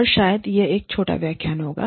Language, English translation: Hindi, And, maybe, this will be a short lecture